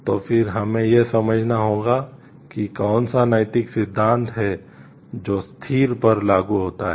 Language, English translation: Hindi, So, then we have to understand which is the moral principle which is applicable to the situation